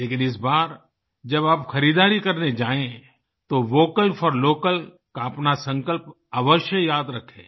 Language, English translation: Hindi, But this time when you go shopping, do remember our resolve of 'Vocal for Local'